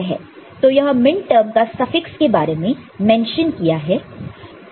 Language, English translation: Hindi, This was the minterm suffix mention of those things